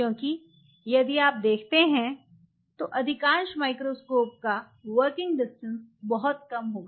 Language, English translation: Hindi, Because most of the microscope if you see will have a very short working distance what does that mean